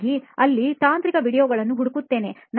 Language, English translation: Kannada, So I search technical videos over there